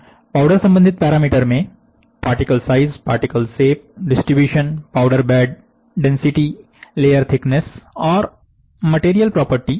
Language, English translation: Hindi, Powder related particle size, particle shape, distribution, powder bed density, layer thickness and material property